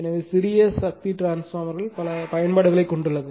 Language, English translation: Tamil, So, small power transformer have many applications